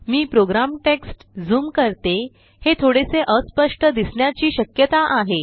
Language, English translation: Marathi, Let me zoom the program text it may possibly be a little blurred